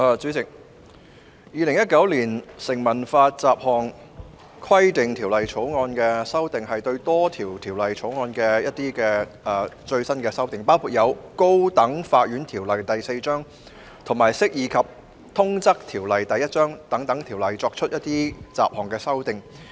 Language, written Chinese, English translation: Cantonese, 主席，《2019年成文法條例草案》的修正案，是對多項條例作出最新修訂，包括就《高等法院條例》及《釋義及通則條例》等作出雜項修訂。, President the amendment to the Statute Law Bill 2019 the Bill seeks to make latest amendments to various Ordinances including making miscellaneous amendments to the High Court Ordinance Cap . 4 and the Interpretation and General Clauses Ordinance Cap . 1